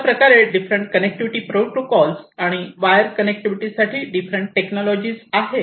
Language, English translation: Marathi, These are the different wireless connectivity protocols and these are the different, you know, technologies for wired connectivity